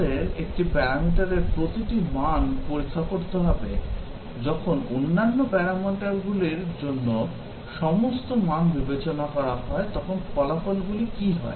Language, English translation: Bengali, We will have to check for each value of one parameter, what are the results when all other values for the other parameters are considered